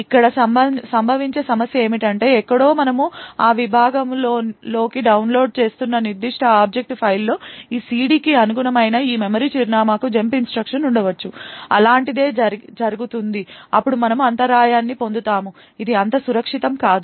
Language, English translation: Telugu, The problem that could occur over here is that somewhere in the particular object file which we are loading into that segment there could be a jump instruction to this memory address corresponding to this CD such a thing happens then we obtain an interrupt which is going to be unsafe